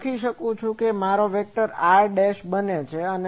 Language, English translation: Gujarati, So, I can write that this is my r vector